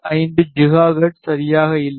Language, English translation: Tamil, 75 gigahertz's which is around here